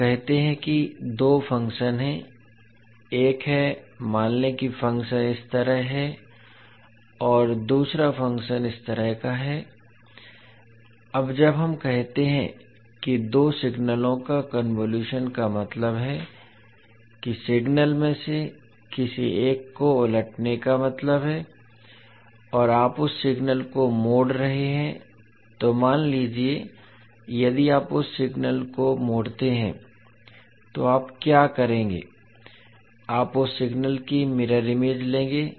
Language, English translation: Hindi, Let us say that there are two functions, one is let us say is function like this and second is function like this, now when we say the convolution of two signals means time reversing of one of the signal means you are folding that signal so when you, suppose if you fold that signal, what you will do, you will take the mirror image of that signal